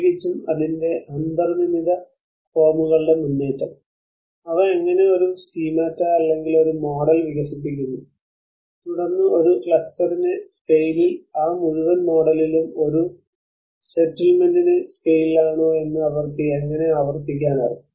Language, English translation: Malayalam, Especially in terms of the advancements of its built forms, and how they develop a schemata, or a model, and then how they can replicate it whether in a scale of a cluster whether in a scale of a settlement in that whole model